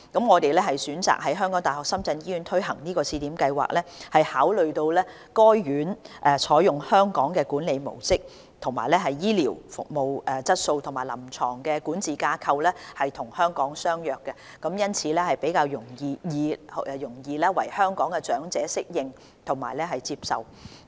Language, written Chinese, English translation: Cantonese, 我們選擇在港大深圳醫院推行試點計劃，是考慮到該院採用"香港管理模式"，醫療服務質素及臨床管治架構與香港相若，因此較易為香港長者適應和接受。, We chose to implement the Pilot Scheme at HKU - SZH in view that the hospital adopts the Hong Kong management model and that its health care service quality and clinical governance structure are similar to those of Hong Kong thus making it easier for Hong Kong elders to adapt and accept